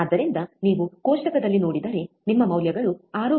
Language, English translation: Kannada, So, if you see the table, your values are 6